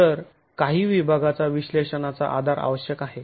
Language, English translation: Marathi, So some section analysis basis is essential